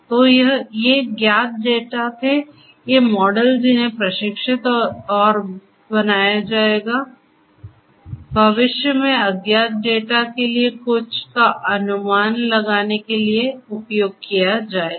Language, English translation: Hindi, So, these were known data these models that have been trained and created will be used to predict something in the future for unknown data